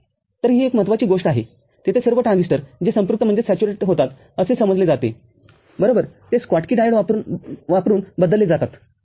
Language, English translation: Marathi, So, that is one important thing where all the transistor that are supposed to saturate right that are changed using a Schottky diode, ok